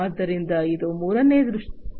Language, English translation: Kannada, So, this is the third feature